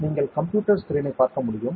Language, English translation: Tamil, Let us look at the computer screen